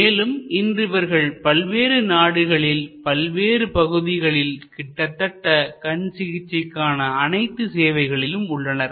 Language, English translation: Tamil, And today they are spread over many countries, over many locations covering almost the entire range of eye care services